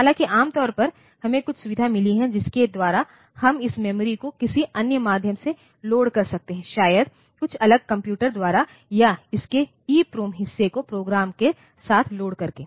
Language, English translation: Hindi, Though normally, we have got some facility by which we can load this memory by some other means maybe by some separate computer or by burning the EPROM part of it with the program whatever